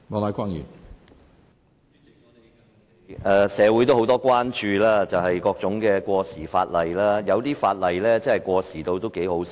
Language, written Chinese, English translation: Cantonese, 主席，社會人士對各種過時法例表示關注，有些法例簡直過時得有點可笑。, President members of the community have expressed concern about outdated legislation and some legislation has been ridiculously outdated